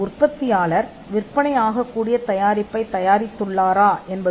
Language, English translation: Tamil, Whether manufacturer results in a vendible or a saleable product